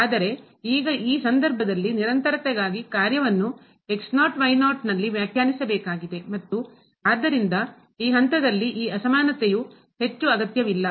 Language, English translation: Kannada, But, now in this case for the continuity the function has to be defined at naught naught and therefore, this inequality at this end is no more required